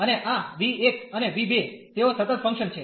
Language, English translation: Gujarati, And this v 1 and v 2, they are the continuous functions